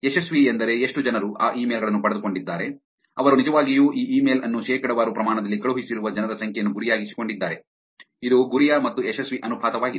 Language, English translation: Kannada, Successful meaning how many people got those emails who actually fell for the it, targeted the number of peoples who were actually sent this email to percentage of course, is the ratio of targeted versus successful